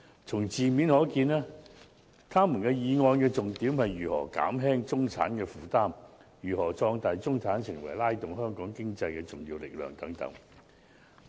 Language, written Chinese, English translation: Cantonese, 從字面可見，議員的議案重點是如何減輕中產負擔、如何壯大中產成為拉動香港經濟的重要力量等。, One can tell from the wordings of the motions that Members mainly focused on how to alleviate the burden of the middle class and how to increase the size of the middle class so that they can become an important propellant for our economy to move forward